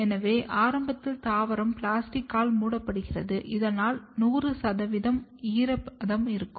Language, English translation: Tamil, So, initially the plant is covered with plastic so, that there is 100 percent humidity condition